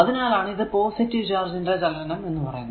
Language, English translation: Malayalam, So, that is why is taken has direction of the positive charge movement